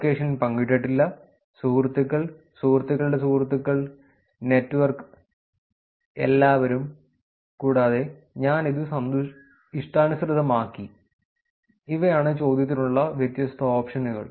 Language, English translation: Malayalam, Location not shared, friends, friends of friends, network, everyone, and ‘I have customized it’, those are the different options that was given for the question